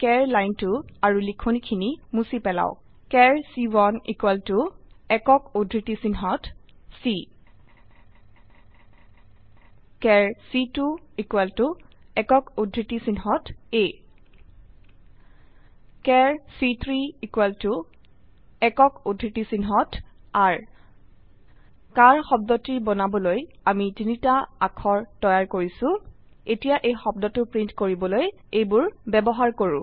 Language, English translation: Assamese, Remove the char line and type , char c1 equal to in single quotes c char c2 equal to in single quotes a char c3 equal to in single quotes r We have created three characters to make the word car